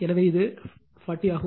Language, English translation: Tamil, So, this is 40 right